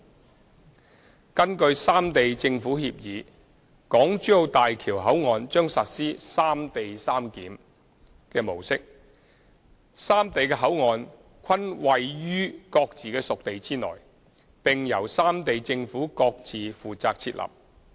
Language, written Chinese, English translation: Cantonese, 三根據《三地政府協議》，大橋口岸將實施"三地三檢"模式，三地的口岸均位於各自屬地內，並由三地政府各自負責設立。, 3 According to the agreement BCFs of HZMB will adopt the separate locations mode of clearance arrangement . The governments of the three sides are responsible for setting up their own BCFs which are located within their respective boundaries